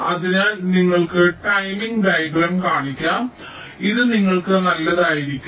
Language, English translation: Malayalam, so let me show you the timing diagram so it will be good for you